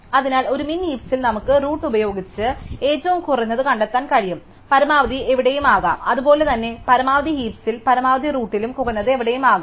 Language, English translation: Malayalam, So, in a min heap we can find the minimum with the root, the maximum could be anywhere and likewise in a max heap a maximum would be at the root, minimum could be anywhere